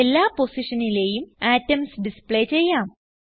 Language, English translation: Malayalam, Lets display atoms on all positions